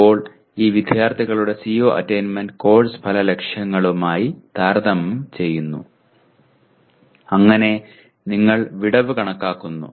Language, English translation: Malayalam, Now this students’ CO attainment is compared with course outcome targets that we have and you compute the gap